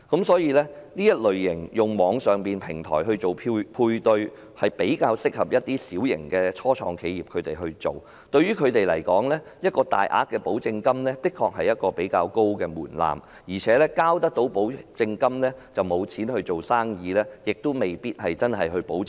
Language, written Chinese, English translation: Cantonese, 所以，透過網上平台進行配對，比較適合一些小型的初創企業，因為對他們來說，大額保證金的確是一個比較高的門檻，繳交保證金後已沒有營運資金，質素因而未必能夠保證。, Therefore small set - up enterprises are more suitable to provide matching services through online platform . For such enterprises a large amount of guarantee money will indeed pose a high threshold as they may not have any operating capital after depositing the guarantee money hence service quality may not be assured